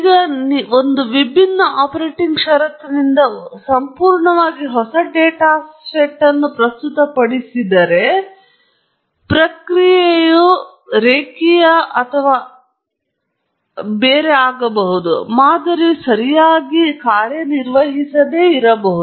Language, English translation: Kannada, Now, if you are going to present a completely new data set from a different operating condition, then it’s very likely that the model may not work well, unless the process is linear and so on